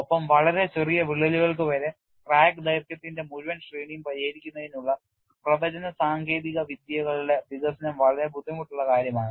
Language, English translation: Malayalam, And development of predictive techniques to address the full range of crack lengths down to very small cracks is a very difficult task